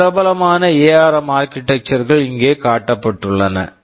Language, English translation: Tamil, So, some of the popular ARM architectures are shown here